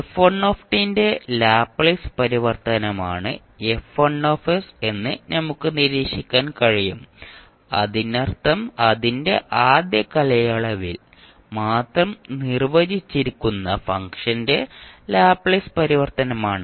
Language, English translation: Malayalam, We can observe absorb that F1 s is the Laplace transform of f1 t that means it is the Laplace transform of function defined over its first period only